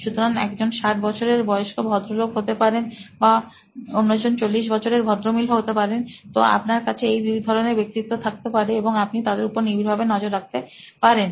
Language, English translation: Bengali, So one could be a sixty year old gentleman the other could be a forty year old lady, so you could have these two types of personas and you could be shadowing them as well